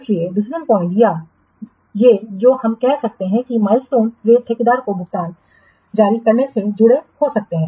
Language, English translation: Hindi, So, decision points or these what we can say milestones, they could be linked to release payments to the contractor